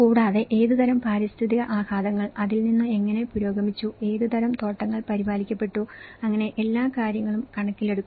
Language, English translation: Malayalam, Also, what kind of environmental impacts and how it has been improved, what kind of plantations has been taken care of, so all these things will be accounted